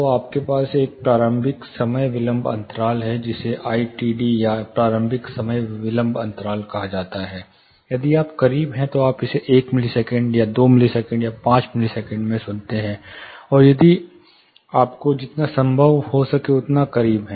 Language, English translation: Hindi, So, you have a initial time delay gap which is called I T D, or initial time delay gap, if you are closer you listen it in a say you know, say 1 millisecond 2 millisecond or 5 millisecond, you get the sound if you are as close as possible